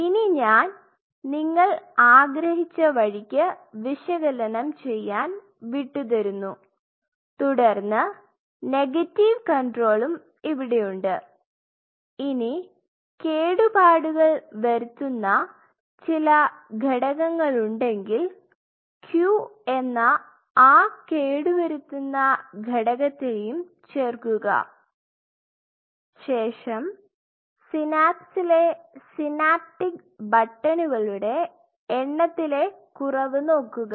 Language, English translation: Malayalam, That I will leave it up to your which so ever, way you wanted to do that analysis followed by you have this negative control here; obviously, if there is some damaging element you add the damaging element Q, and you see the reduction in number of synapses synaptic buttons